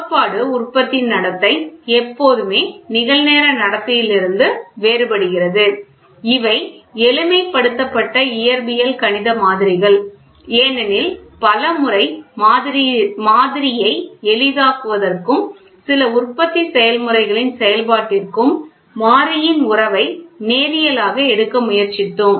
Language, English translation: Tamil, The theoretical production behaviour is always different from a real time behaviour, as simplified physical mathematical models because many a times to simplify the model and working of some manufacturing process we tried to take variable relationship as linear